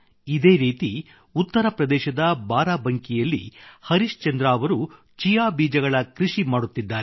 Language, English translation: Kannada, Similarly, Harishchandra ji of Barabanki in UP has begun farming of Chia seeds